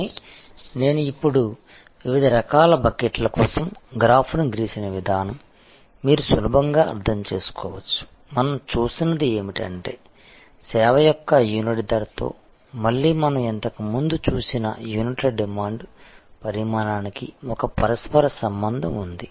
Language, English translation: Telugu, But, the way I just now drew the graph for different types of buckets, you can easily therefore, understand, that what we are looking at is, that the demand, again this we have seen earlier that the quantity of units demanded have a correlation with price per unit of service